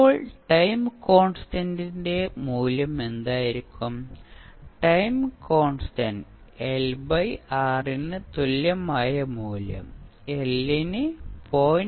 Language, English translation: Malayalam, Now, what would be the value of time constant, time constant value will be L upon R equivalent value of L is given as 0